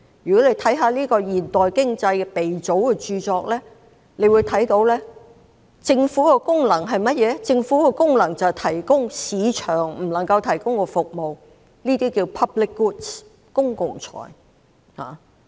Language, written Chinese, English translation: Cantonese, 如果閱讀過這位現代經濟鼻祖的著作，會知悉政府的功能，是提供市場不能夠提供的服務，即公共產品。, If you have read the book by the founder of modern economy you will know that the function of a government is to provide services which cannot be provided by the market that is public goods